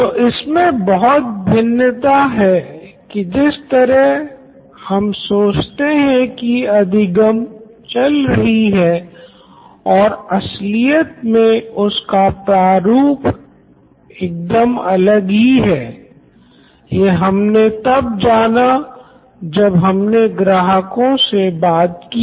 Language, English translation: Hindi, So, a lot of difference between the way we thought learning was going on when we actually went and talked to all our customers